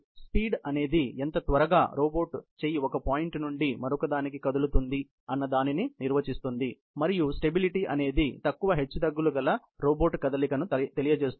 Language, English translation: Telugu, The speed defines how quickly, the robot arm moves from one point to another, and stability refers to the robot motion with less amount of oscillation